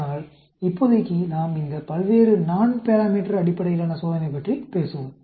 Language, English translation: Tamil, But as of now, we will talk about these various Nonparameter based test